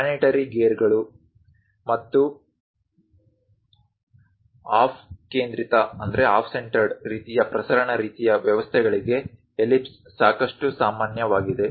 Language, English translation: Kannada, Ellipse are quite common for planetary gears and off centred kind of transmission kind of systems